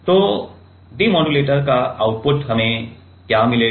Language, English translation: Hindi, So, the outside, the output of the demodulator what we will get